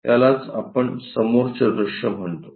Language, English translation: Marathi, This is what we call front view